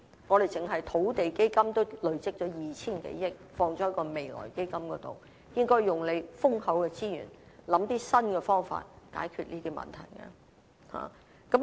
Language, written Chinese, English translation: Cantonese, 我們單是土地基金已累積了 2,000 多億元投放在未來基金，應利用豐厚的資源，構思一些新方法來解決這些問題。, We have already allocated 200 billion of the Land Fund to the Future Fund . We should make use of the ample resources and think of new ways to solve these problems